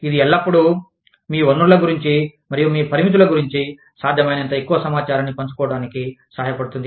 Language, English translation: Telugu, It always helps to share, as much information, about your resources, and your limitations, as possible